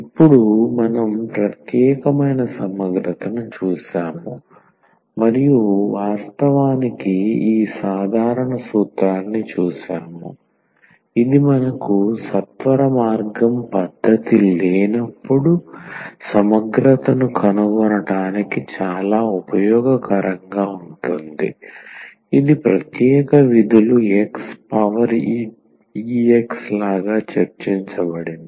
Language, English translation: Telugu, So, coming to the conclusion now that we have seen the particular integral and indeed this general formula which will be very useful to find the integral when we do not have such a shortcut method which was discuss just like special functions x power e x